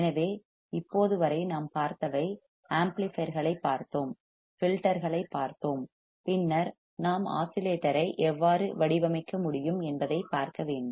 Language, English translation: Tamil, So, until now what we have seen we have seen amplifiers; we have seen the filters; and then we must see how we can design oscillator